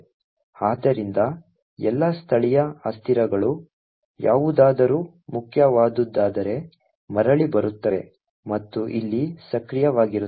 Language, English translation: Kannada, So, all the local variables if any that are present in the main would come back and would actually be active over here